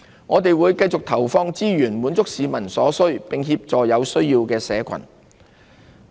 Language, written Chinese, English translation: Cantonese, 我們會繼續投放資源，滿足市民所需，並協助有需要的社群。, We will continue to allocate resources to meeting peoples needs and help those social groups in need